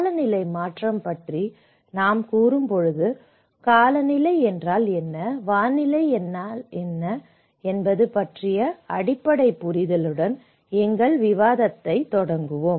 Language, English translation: Tamil, When we say about climate change, I think let us start our discussion with the basic understanding on of what is climate, what is weather